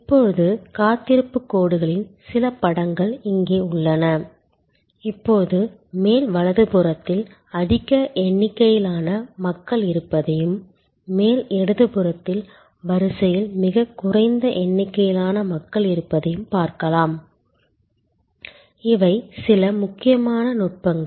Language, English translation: Tamil, Now, here are some pictures of waiting lines, now we can see on top there are large number of people on the top right quadrant and there are far lesser number of people on the queue on the top left quadrant and these are some important techniques for queue management